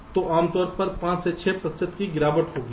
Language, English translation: Hindi, so typically five, six percent degradation this occurs